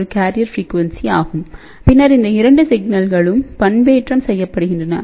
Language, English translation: Tamil, 45 gigahertz becomes a carrier frequency, then these 2 signals are modulated